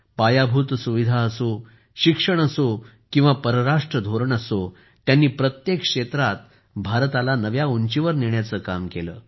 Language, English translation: Marathi, Be it infrastructure, education or foreign policy, he strove to take India to new heights in every field